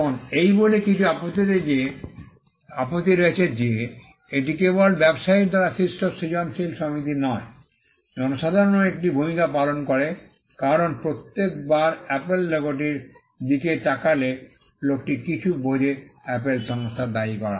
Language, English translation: Bengali, Now, there are some objections to this by saying that, it is just not the creative association done by the trader, but the public also plays a part because, every time a person looks at the Apple logo, there is something that the person perceives to be attributed to the company Apple